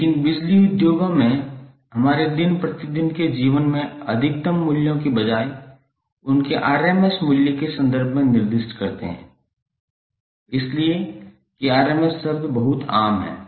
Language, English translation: Hindi, But in our day to day life the power industries is specified phasor magnitude in terms of their rms value rather than the peak values, so that’s why the rms term is very common